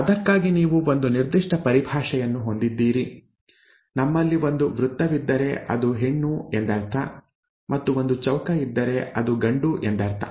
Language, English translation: Kannada, For that you have a certain terminology, if we have a circle it means a female, if you have a square it means a male